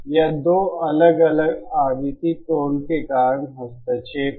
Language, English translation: Hindi, It is interference between caused by 2 different frequency tones